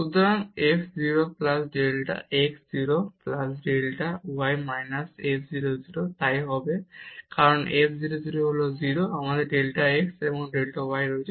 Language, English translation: Bengali, So, f 0 plus delta x 0 plus delta y minus f 0 0 so, this will be because f 0 0 is 0 we have delta x delta y